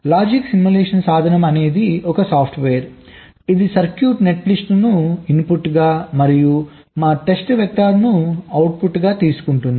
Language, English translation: Telugu, logic simulation tool is a software that takes a circuit netlist as a input and our test vector as a output